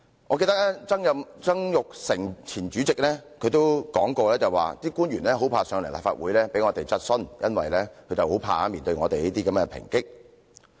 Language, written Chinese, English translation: Cantonese, 我記得立法會前主席曾鈺成說過，官員很怕來立法會接受議員質詢，因為他們害怕面對我們這些抨擊。, I remember Jasper TSANG the former President of the Legislative Council once said that the public officers dreaded coming to the Council to answer Members questions because they were afraid of facing our criticisms